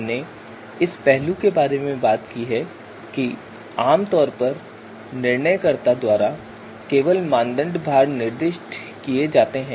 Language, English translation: Hindi, So we we we talked about that typically you know only the criteria weights are to be specified by decision maker